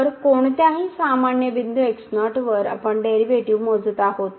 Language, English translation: Marathi, So, at any general point we are computing the derivative